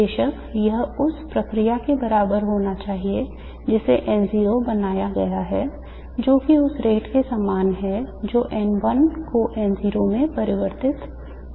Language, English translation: Hindi, Of course this should be equal to the process with which the n 0 is created which is the same as the rate at which n1 is getting converted into n 0